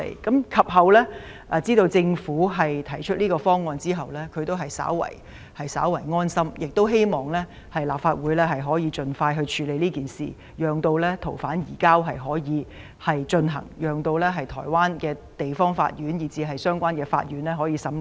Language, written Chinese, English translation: Cantonese, 可是，他們知道政府將提出修例建議後便感到安心，希望立法會盡快通過，令逃犯順利移交，以便台灣地方法院及相關法院進行審理。, However they rest assured when they know that the Government will propose legislative amendments and they hope that the Legislative Council will pass the Bill as soon as possible so that the fugitive offenders will be successfully surrendered for trial by the District Court in Taiwan and the related courts